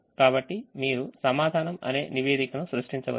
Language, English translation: Telugu, so if you click the answer report, you will get the